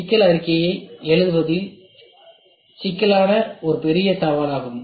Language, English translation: Tamil, So, that is what problem writing the problem statement is a big challenge